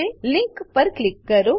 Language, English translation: Gujarati, Click on the link